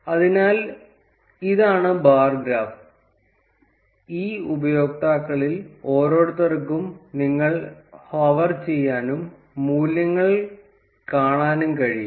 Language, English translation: Malayalam, So, this is the bar graph, where you can hover to each of these users and see the values